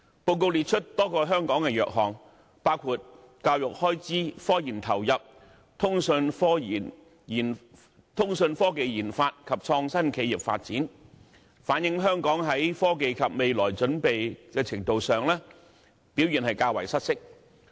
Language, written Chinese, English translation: Cantonese, 報告列出香港多個弱項，包括教育開支、科研投入、通訊科技研發及創新企業發展，反映香港在科技及未來準備的程度上表現較為失色。, The Yearbook has specified a number of weaknesses of Hong Kong including expenditure on education expenditure on RD RD of telecommunications and development of innovative firms reflecting that the performance of Hong Kong in technology and future readiness pales in comparison with that in other areas